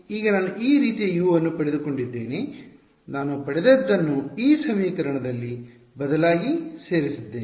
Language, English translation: Kannada, Now that I have got this form of U, I substituted into this equation that I got alright